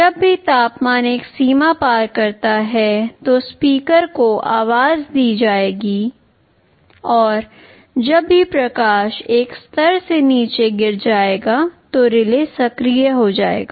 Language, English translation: Hindi, Whenever the temperature crosses a threshold the speaker will be sounded, and whenever the light falls below a level the relay will be activated